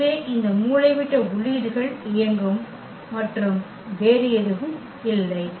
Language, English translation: Tamil, So, these diagonal entries will be powered and nothing else